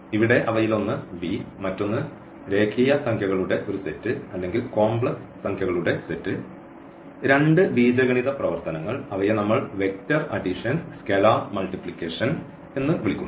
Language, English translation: Malayalam, So, the mean set V here one another set of real numbers or the set of complex number and two algebraic operations which we call vector addition and scalar multiplication